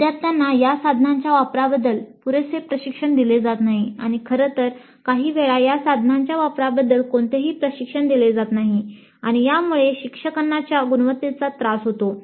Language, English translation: Marathi, Students are not given adequate training on the use of these tools and in fact sometimes no training at all on the use of these tools and the learning quality suffers because of this